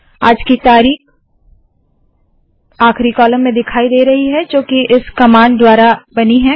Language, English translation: Hindi, Todays date appears in the last column created by this command